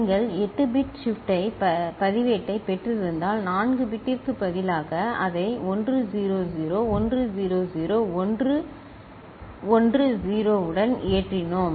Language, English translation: Tamil, Instead of 4 bit if you have got a 8 bit shift register and say we have loaded it with 1 0 0 1 0 0 1 1 0, right